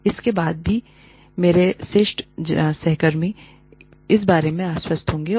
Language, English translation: Hindi, And, only then will, and my seniors, have to be convinced, about this